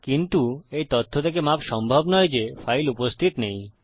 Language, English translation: Bengali, But it doesnt excuse the fact that the file doesnt exist